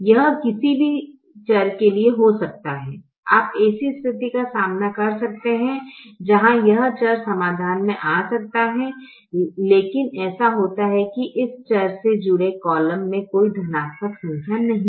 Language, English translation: Hindi, you you may encounter a situation where this variable can come into the solution, but it so happens that the column associated with this variable does not have any positive number